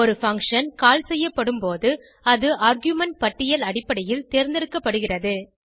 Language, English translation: Tamil, When a function is called it is selected based on the argument list